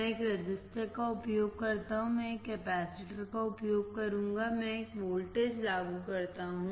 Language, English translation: Hindi, I use one register, I will use one capacitor, I apply a voltage